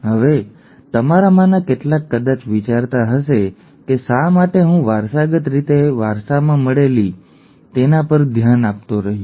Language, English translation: Gujarati, Now, some of you might have been wondering why did I keep harping on recessively inherited, okay